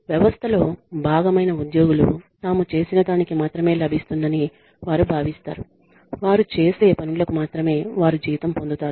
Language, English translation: Telugu, People feel that the employees who are a part of the system feel that they will get only they will get paid for only what they do